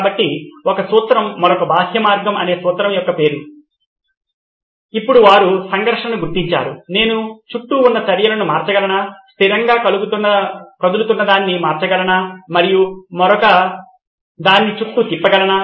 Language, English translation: Telugu, So other way round is a principle name of a principle, now that they have identified the conflict, can I flip the actors around, can I flip whatever is moving stationary and can I change the other one around